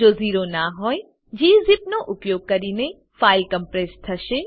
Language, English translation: Gujarati, If not zero, the file will be compressed using gzip